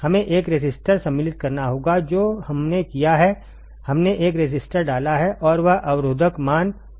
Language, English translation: Hindi, We have to insert a resistor right that is what we have done we have inserted a resistor and this resistor value is low ok